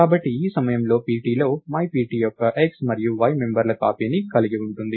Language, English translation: Telugu, So, at this point pt has copies of the x and y members of myPt